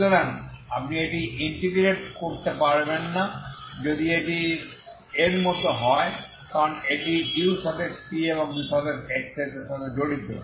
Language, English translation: Bengali, So you cannot integrate so if it is like this it involves a first order term ut and uxx